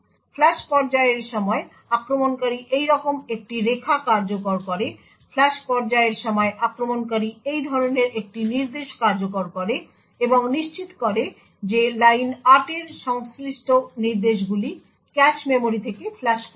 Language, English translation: Bengali, During the flush phase the attacker executes a line like this, during the flush phase the attacker executes an instruction such as this and ensures that instructions corresponding to line 8 are flushed from the cache memories